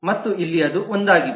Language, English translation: Kannada, and that is the example